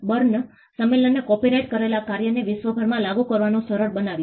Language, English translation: Gujarati, The BERNE convention made it easy for copyrighted works to be enforced across the globe